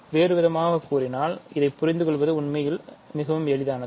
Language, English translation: Tamil, So, in other words; so it is actually very easy to understand this